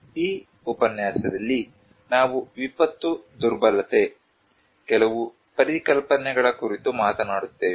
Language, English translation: Kannada, This lecture, we will talk on disaster vulnerability, some concepts